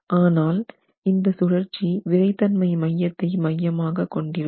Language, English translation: Tamil, But this rotation is going to be centered at the center of stiffness